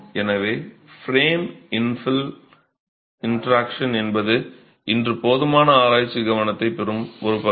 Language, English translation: Tamil, So, the frame infel interaction is an area that definitely receives enough research focus today